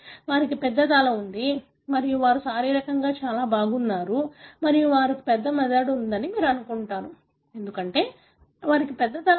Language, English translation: Telugu, They have a huge head and they are very physically so good and you would assume that they have large brain, because they have a big head